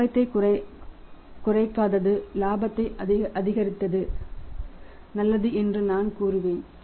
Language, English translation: Tamil, I would say not decrease the profit is good for the increase the profit